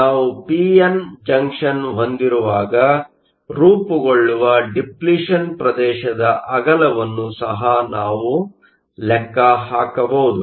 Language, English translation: Kannada, We can also calculate the width of the depletion region that forms when we have a p n junction